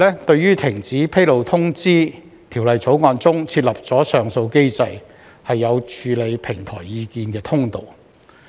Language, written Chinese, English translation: Cantonese, 對於停止披露通知，《條例草案》中設立上訴機制，有處理平台意見的通道。, The Bill provides for an appeal mechanism for the cessation notices with a channel for dealing with platform comments